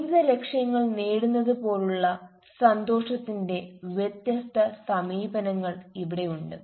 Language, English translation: Malayalam, so here are different approaches to happiness like achievement of life goals how a person becomes happy